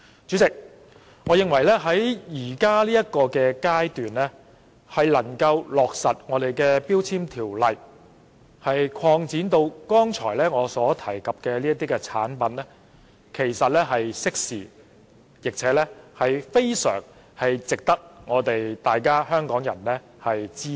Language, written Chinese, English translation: Cantonese, 主席，我認為在現階段將《條例》的範圍擴展至我剛才提及的產品，其實是適時的做法，並且非常值得香港人支持。, In my view President extending the ambit of the Ordinance to the products mentioned by me just now at this stage is actually timely and worthy of Hongkongers support